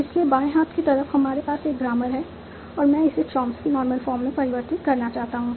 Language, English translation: Hindi, So on the left side you have a grammar and I want to convert the Chomsky Normal Form